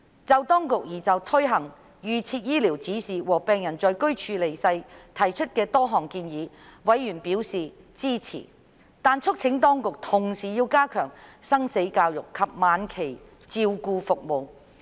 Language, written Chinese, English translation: Cantonese, 就當局擬推行預設醫療指示和容許病人選擇在居處離世，委員支持當局提出的多項建議，但促請當局同時加強生死教育及晚期照顧服務。, In relation to the implementation of the proposals for advance directives and dying - at - home arrangements for patients while expressing support towards the Administrations proposals members also urged the Administration to step up life - and - death education and enhance its end - of - life care services